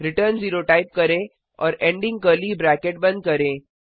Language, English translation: Hindi, Type return 0 and close the ending curly bracket